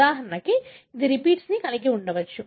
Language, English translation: Telugu, For example, it can have repeats